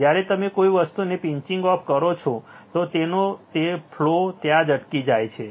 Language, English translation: Gujarati, When you pinch something it stops flow its remains there right